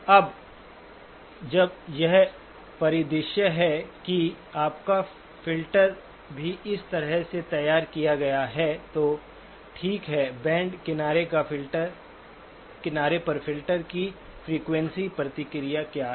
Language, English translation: Hindi, Now when this is the scenario and your filter is also drawn in this fashion, okay, what is the frequency response of the filter at the band edge